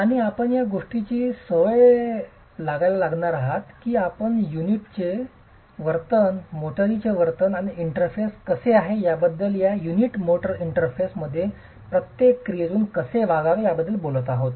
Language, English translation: Marathi, And you will start getting used to the fact that we are going to be talking about the behavior of the unit, the behavior of the motor and how is the interface, how is this unit motor interface behaving under every action